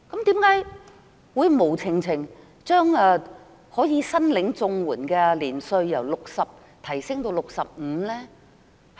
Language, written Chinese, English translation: Cantonese, 為何會無故將申領長者綜援的年齡由60歲提高至65歲呢？, Why does the Government raise the age threshold for applying for elderly CSSA from 60 to 65 years for no reason?